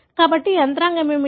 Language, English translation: Telugu, So, what could be the mechanism